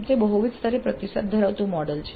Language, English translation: Gujarati, It is a model with feedbacks at multiple levels